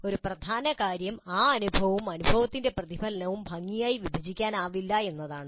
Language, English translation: Malayalam, One of the major points is that experience and reflection on that experience cannot be neatly compartmentalized